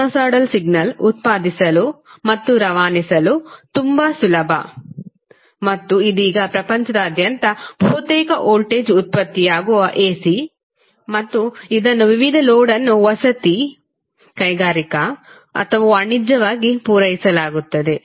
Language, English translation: Kannada, Sinosoidal signal is very easy to generate and transmit and right now almost all part of the world the voltage which is generated is AC and it is being supplied to various loads that may be residential, industrial or commercial